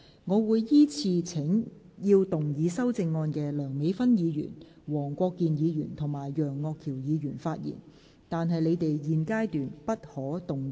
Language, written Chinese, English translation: Cantonese, 我會依次請要動議修正案的梁美芬議員、黃國健議員及楊岳橋議員發言，但他們在現階段不可動議修正案。, I will call upon Members who move the amendments to speak in the following order Dr Priscilla LEUNG Mr WONG Kwok - kin and Mr Alvin YEUNG but they may not move the amendments at this stage